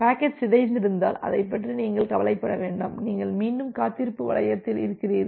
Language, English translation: Tamil, And if the packet is corrupted, then you do not bother about that, you are again in the wait loop